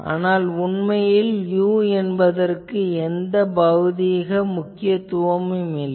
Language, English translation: Tamil, The point is you see this u, what is the physical significance of this u